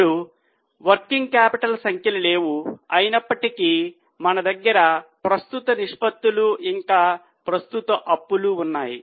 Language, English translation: Telugu, So, now the working capital figure is not given, although we have been given current assets and current liabilities